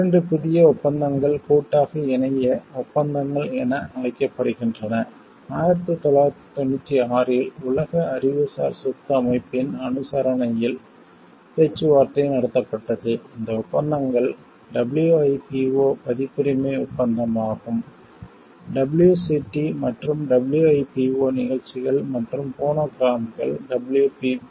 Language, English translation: Tamil, Two new treaties, collectively termed as internet treaties were negotiated in 1996 under the auspices of the World Intellectual Property Organization, these treaties are WIPO copyright treaty; WCT and the WIPO performances and phonograms TTW PPT